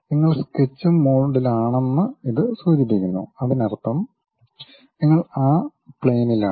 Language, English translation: Malayalam, That indicates that you are in Sketch mode; that means, you are on that plane